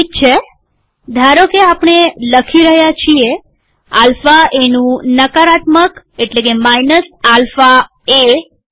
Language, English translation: Gujarati, Supposing we write, negative of alpha a is minus alpha a